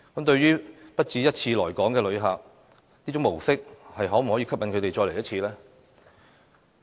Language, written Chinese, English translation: Cantonese, 對於不只一次來港的旅客，這種模式可否吸引他們再次訪港呢？, Just wonder if it can serve to attract visitors having paid multiple visits to Hong Kong before to come again